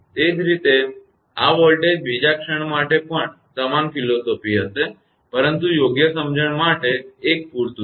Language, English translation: Gujarati, Similarly, this voltage another instant also it will be the same philosophy, but one is sufficient for understandable understanding right